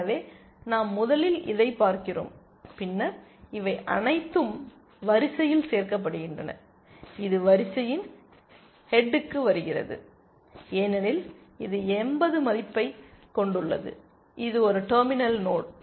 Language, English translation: Tamil, So, we first look at this and then so, all these added to the queue, this comes to the head of the queue because it has a value of 80, it is a terminal node